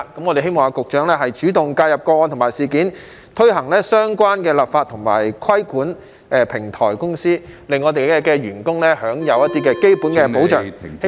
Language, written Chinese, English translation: Cantonese, 我們希望局長主動介入個案和事件，推行相關的立法和規管平台公司，令這些員工享有基本的保障......, We hope that the Secretary will take the initiative to intervene in the cases and incidents concerned push for the relevant legislation and regulate platform companies so that these employees can enjoy basic protection